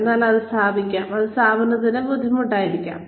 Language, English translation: Malayalam, So, that can put, that can be difficult for the organization